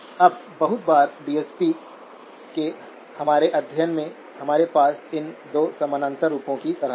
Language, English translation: Hindi, Now very often in our study of DSP, we kind of have these 2 parallel forms